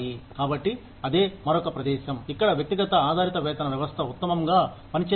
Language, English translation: Telugu, So, that is another place, where the individual based pay system, works best